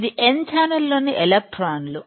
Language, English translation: Telugu, This is electrons within n channels